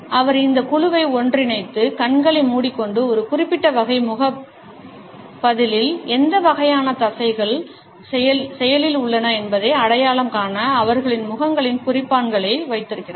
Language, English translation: Tamil, He had gathered together this group, blindfolded them, put markers on their faces to identify what type of muscles are active in a particular type of facial response